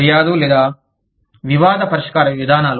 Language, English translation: Telugu, Grievance or dispute resolution procedures